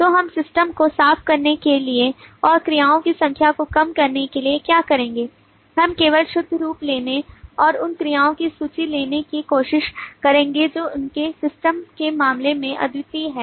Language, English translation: Hindi, so what we will do just to clean up the system and reduce the number of verbs that we have to deal with we will try to just take the pure form and take the list of verbs which are in the unique terms of their stem